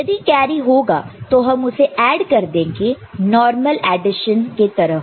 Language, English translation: Hindi, If there is a carry we’ll add it normal addition